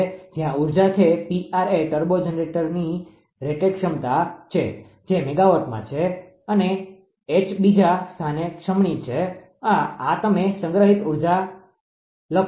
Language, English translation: Gujarati, Where P r is the rated capacity of turbo generator that is megawatt and H is inertia constant in second right, this you write the stored kinetic energy